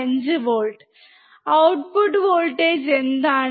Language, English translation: Malayalam, 5 volts, what is the output voltage